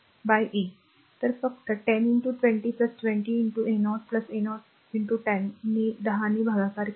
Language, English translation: Marathi, So, just 10 into 20 plus 20 into 30 plus 30 into 10 divided by 10